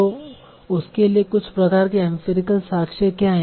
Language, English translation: Hindi, So what is some sort of empirical evidence for that